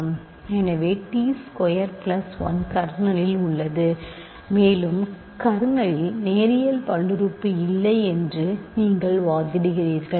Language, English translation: Tamil, So, t squared plus 1 is in the kernel and you argue that there is no linear polynomial in the kernel